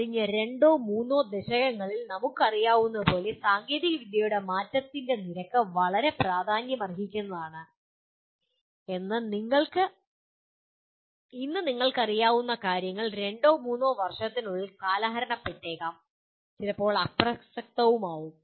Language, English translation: Malayalam, As we know in the last two or three decades, the rate of change of technology has been very significant and what you know today, may become outdated in two or three years and also sometimes irrelevant